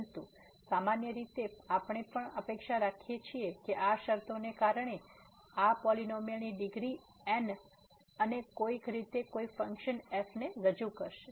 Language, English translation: Gujarati, But in general also we expect that because of these conditions that this polynomial of degree and somehow in some form will represent the function